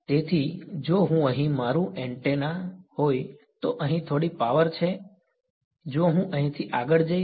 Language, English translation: Gujarati, So, if I this is my antenna over here there is some power over here, if I go further over here right